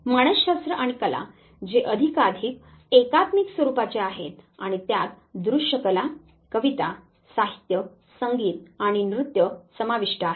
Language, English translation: Marathi, ++ Psychology and the art which is more and more interdisciplinary in nature and it come can it is encompass visual arts poetry literature music and dance